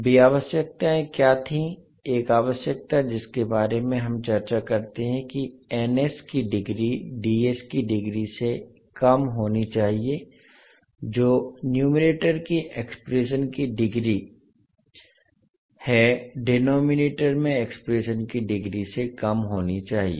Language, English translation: Hindi, What was those requirements, one requirement, which we discuss was the degree of Ns must be less than the degree of Ds, that is degree of numerator expression should be less than the degree of expression in denominator